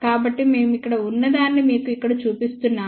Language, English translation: Telugu, So, just to show you here what we have over here